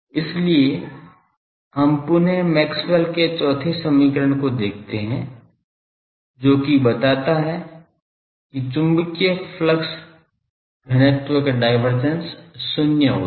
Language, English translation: Hindi, So, again we look at the fourth Maxwell’s equation that divergence of the magnetic flux density is zero